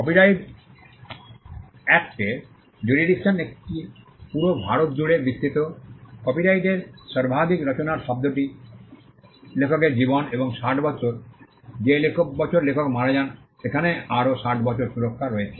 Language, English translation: Bengali, The jurisdiction of the copyright act it extends to the whole of India, the term of copyright foremost works is life of the author plus 60 years, the year in which the author dies there is another 60 years of protection